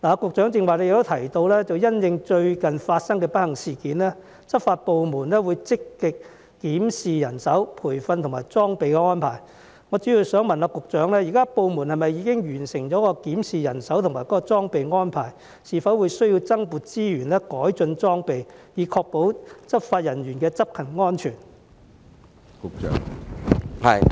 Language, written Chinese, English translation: Cantonese, 局長剛才也提到，因應最近發生的不幸事件，執法部門會積極檢視人手、培訓和裝備的安排，我主要想問局長，部門現時是否已完成檢視人手和裝備的安排，是否需要增撥資源改進裝備，以確保執法人員的執勤安全？, As the Secretary has just mentioned law enforcement agencies will in the light of the recent unfortunate incident actively review their arrangements on manpower training and equipment . I mainly want to ask the Secretary whether these agencies have now finished reviewing their arrangements on manpower and equipment and whether it is necessary to allocate additional resources to upgrade the equipment in order to ensure the safety of law enforcement officers during operations